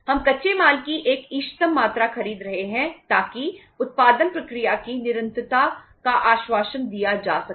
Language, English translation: Hindi, We are buying a optimum quantity of raw material so that the continuity of the production process can be assured